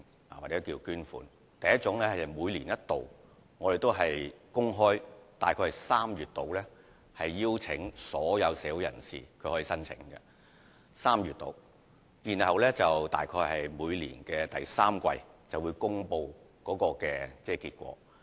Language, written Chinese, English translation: Cantonese, 第一類是每年一度的，大概會在每年3、4月公開邀請所有非牟利團體提出申請，然後大約在每年的第三季公布結果。, The first type is processed under the annual schemes whereby all non - profit - making organizations would be invited to submit applications in around March or April each year and the result would probably be released in the third quarter